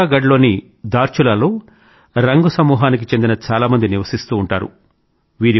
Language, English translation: Telugu, There are many people of the Rang community who inhabit Dhaarchulaa in PithauraagaRh